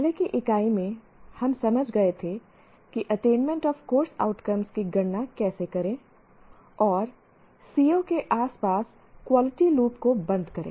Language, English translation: Hindi, In the earlier unit, we understood how to compute the attainment of course outcomes and close the quality loop around CIVOs